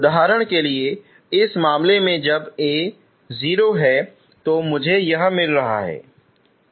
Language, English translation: Hindi, For example in this case when A is 0 that is what I am getting, okay